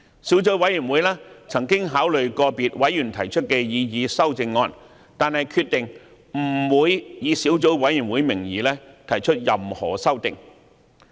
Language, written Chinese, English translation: Cantonese, 小組委員會曾考慮個別委員提出的擬議修訂議案，但決定不會以小組委員會名義提出任何修訂。, The Subcommittee has considered the proposed amending motions put forward by individual members but decided not to propose any amendments under the name of the Subcommittee